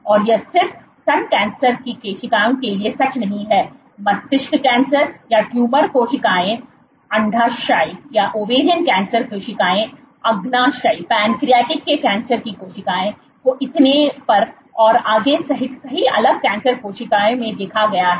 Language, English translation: Hindi, And it is not just true for breast cancer cells, across multiple different cancer cells, including brain cancer or tumor cells, ovarian cancer cells, pancreatic cancer cells so on and so forth